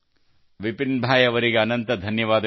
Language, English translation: Kannada, Many thanks to Vipinbhai